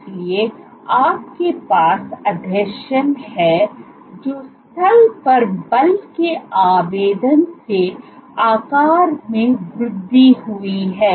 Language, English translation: Hindi, So, you have adhesions grew in size at the site of application of force